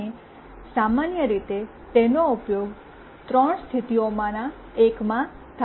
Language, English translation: Gujarati, And typically it is used in one of three modes